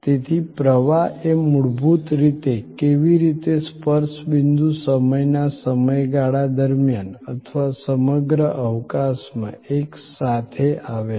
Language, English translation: Gujarati, So, flow is basically how the touch points come together over a period of time or across space